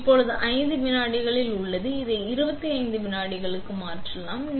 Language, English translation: Tamil, So, it is at 5 seconds now, we can change it to 25 seconds